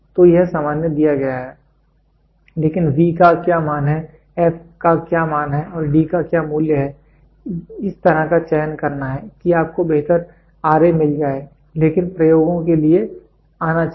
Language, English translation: Hindi, So, this general is given, but what value of v, what value of f and what value of d you have to choose such that you get a better R a, but should come for the experiments